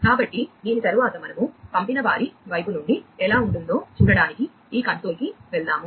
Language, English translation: Telugu, So, after this we go to this console to see that you know how it looks like from the sender side